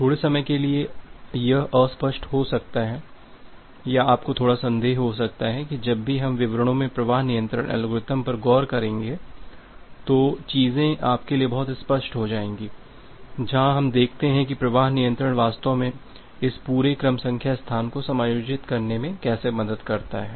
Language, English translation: Hindi, For the time being it may be little unclear or you may have a little bit doubt that the things will be much clear to you whenever we will look into the flow control algorithms in details, where we look into that how flow control actually helps in adjusting this entire sequence number space